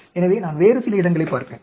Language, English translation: Tamil, So, I will look at some other place